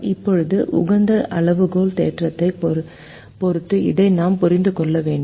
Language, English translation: Tamil, now we need to understand this with respect to the optimality criterion theorem